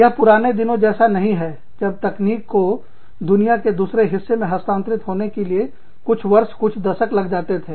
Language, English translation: Hindi, It is not like the olden days, where it used to take, sometimes year, sometimes decades, for technology to be transferred, to another part of the world